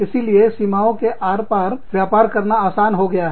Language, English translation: Hindi, So, it is easier to do business, across the border